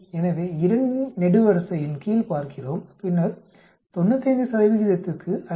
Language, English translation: Tamil, So we look in the under the column of 2 and then we say 5